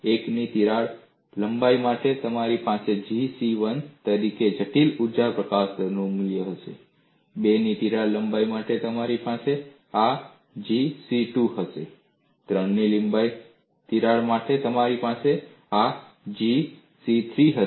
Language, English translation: Gujarati, For the crack length of a 1, you will have the value of critical energy release rate as G c1; for crack length of a 2 you will have this as G c2; for crack length of a 3, you will have this as G c3